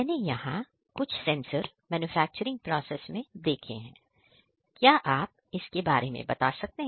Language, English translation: Hindi, I have seen sensors are used in the manufacturing process, please explain about them